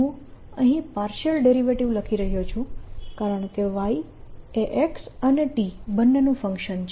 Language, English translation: Gujarati, i am writing partial because y is a function of x and t both